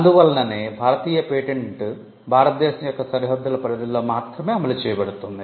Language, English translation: Telugu, So, an Indian patent can only be enforced within the boundaries of India